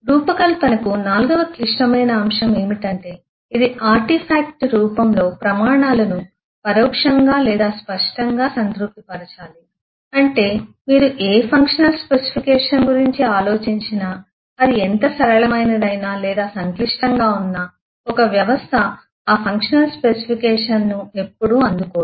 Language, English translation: Telugu, The fourth critical factor for a design is it must implicitly or explicitly satisfy the criteria in the form of artifacts which mean that eh you whatever functional specification you think of however sample or have a complex, a system will never meet exactly those functional specification